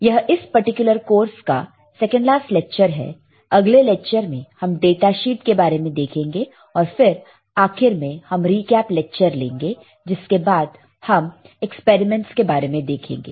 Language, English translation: Hindi, These second last lecture for this particular course, next lecture we will see the data sheet, and finally, we will have a recall lecture follow followed by some experiments